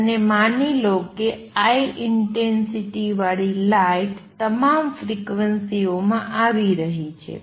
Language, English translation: Gujarati, And suppose light of intensity I is coming in of all frequencies light of intensities is coming in